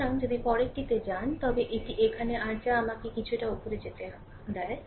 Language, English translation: Bengali, So, if you go to the next one, then this is your here that is let me go little bit up